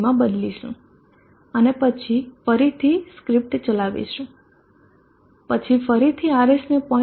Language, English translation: Gujarati, 3 and then run the script then again alter RS to 0